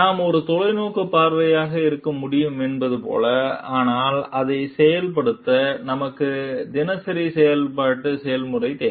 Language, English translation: Tamil, Like we can be a visionary, but to execute it out, we need day to day operational processes